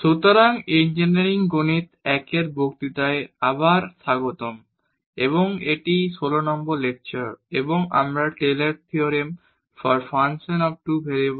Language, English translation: Bengali, So welcome back to the lectures on Engineering Mathematics I and today this is lecture number 16 and we will learn the Taylor’s Theorem for Functions of Two Variables